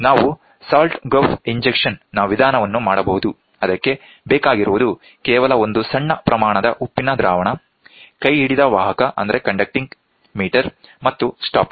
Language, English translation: Kannada, The salt gulf injection method which requires only a small quantity of salt solution, a hand held conducting meter and the stopwatch we can do it